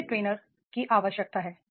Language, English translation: Hindi, What trainer has to require